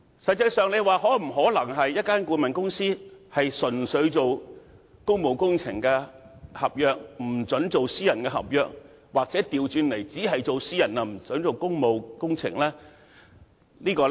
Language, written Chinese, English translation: Cantonese, 實際上，一間顧問公司是否可以只承接公務工程合約，而不承接私人合約，又或倒過來，只承接私人合約，而不准承接公務工程合約呢？, In actuality is it possible for a consultancy undertaking public works contracts not to undertake any private contracts or vice versa that is merely undertaking private projects and not public works projects?